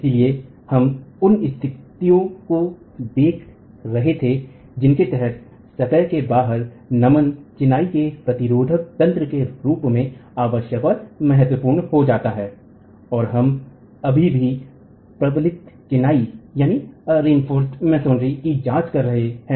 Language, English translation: Hindi, So we were looking at the conditions under which out of plane bending becomes essential and critical as a resisting mechanism of masonry and we are examining unreinforced masonry still